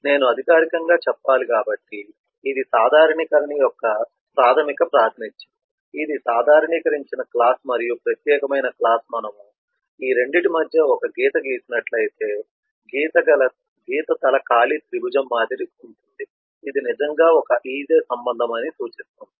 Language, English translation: Telugu, so this is the basic representation of generalisation, if i have should formally say it is: this is the generalised class and these are the specialised classes, and we draw an arrow from the specialised class to the generalised class and the arrow head is an empty triangle which represents that it is, indeed is a relationship